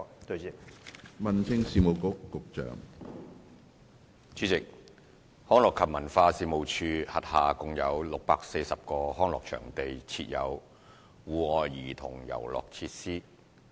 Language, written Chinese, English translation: Cantonese, 主席，一及二康樂及文化事務署轄下共有640個康樂場地設有戶外兒童遊樂設施。, President 1 and 2 The Leisure and Cultural Services Department LCSD manages 640 leisure venues with outdoor childrens playgrounds